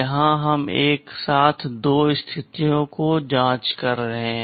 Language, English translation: Hindi, checking for two conditions together